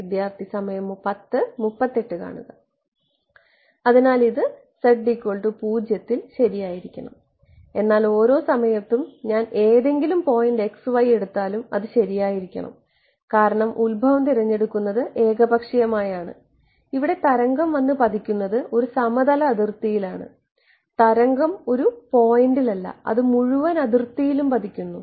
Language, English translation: Malayalam, So, right so, this should be true at z equal to 0, but at every at if I take any point x y it should be true right, because the choice of origin is arbitrary it is a plane interface that the wave hitting over here right, and the wave is not a it is not a point right its hitting the entire interface